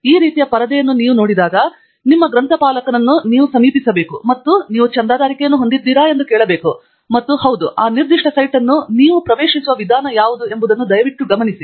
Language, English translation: Kannada, When you see this kind of a screen, please note that you need to approach your librarian and ask whether you have a subscription, and if yes, then what is the methodology by which you can access that particular site